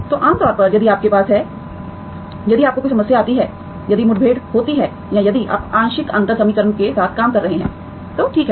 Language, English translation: Hindi, So typically if you have, if you encounter a problem, if encounter or if you are working with a partial differential equation, okay